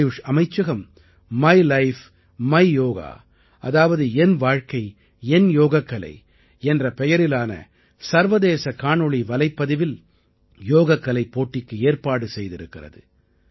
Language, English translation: Tamil, The Ministry of AYUSH has started its International Video Blog competition entitled 'My Life, My Yoga'